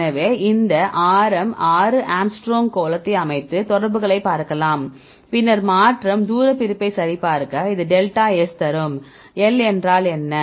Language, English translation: Tamil, So, we can set this sphere of radius 6 angstrom and look at the contacts, right, then the change check the distance separation and that will give delta S; what is L